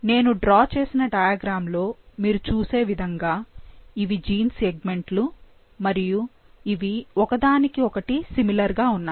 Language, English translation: Telugu, We have, like you can see in this diagram that I have drawn, these are gene segments which look pretty similar to each other